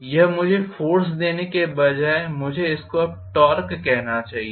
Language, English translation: Hindi, This will give me rather than force I should call this as now torque